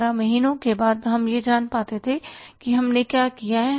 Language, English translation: Hindi, After 12 months we were able to know that what we have ended up with